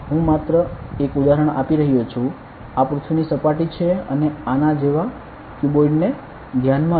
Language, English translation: Gujarati, I am just giving an example; this is the surface of the earth and consider a cuboid over like this